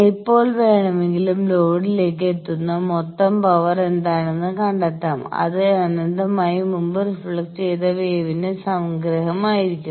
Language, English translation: Malayalam, At any time if I want to find out what is the total power reaching the load that will be summation of all these infinite previously reflected waves